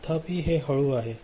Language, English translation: Marathi, However, it is slower